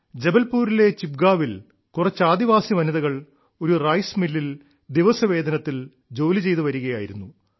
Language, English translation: Malayalam, In Chichgaon, Jabalpur, some tribal women were working on daily wages in a rice mill